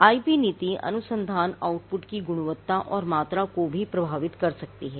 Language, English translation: Hindi, Now, the IP policy can also influence the quality and quantity of research output